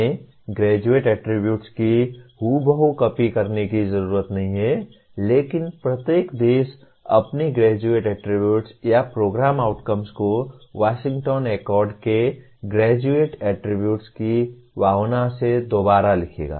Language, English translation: Hindi, We do not have to exactly copy the Graduate Attributes, but each country will rewrite their Graduate Attributes or program outcomes in the spirit of Graduate Attributes of Washington Accord